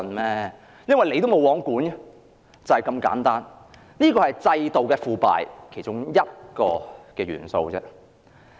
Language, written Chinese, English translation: Cantonese, 連政府也是"無皇管"，這是制度腐敗的其中一個元素。, Even the Government is totally unregulated and this is one of the elements of institutional corruption